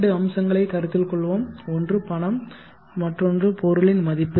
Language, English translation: Tamil, Let us consider the two aspects one is money and another is the value of the item